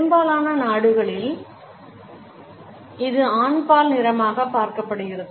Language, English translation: Tamil, In most countries, it is viewed as a masculine color